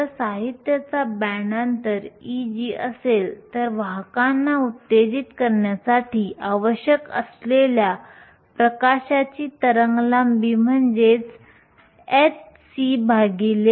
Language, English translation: Marathi, If E g is the band gap of the material, the wavelength of light that is required in order to excite carriers is nothing, but h c over lambda